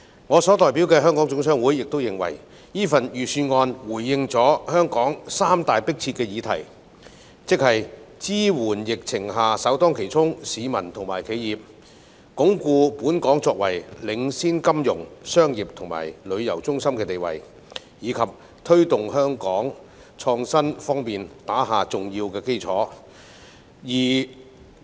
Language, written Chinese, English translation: Cantonese, 我代表的香港總商會認為，預算案回應了香港三大迫切議題，即支援疫情下首當其衝的市民及企業，鞏固本港作為領先金融、商業及旅遊中心的地位，以及推動香港在創新方面打下重要基礎。, The Hong Kong General Chamber of Commerce HKGCC which I represent considers that the Budget has responded to the three most pressing issues in Hong Kong ie . supporting members of the public and enterprises that bear the brunt of the epidemic; consolidating Hong Kongs position as a leading financial commercial and tourism centre; and promoting the laying of an important innovation foundation in Hong Kong